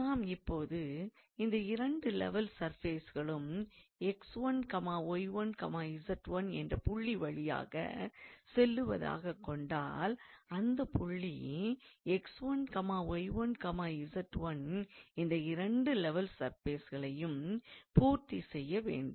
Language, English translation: Tamil, So, if both of these two level surfaces passes through this point x 1, y 1, z 1, then the point must satisfy these two equations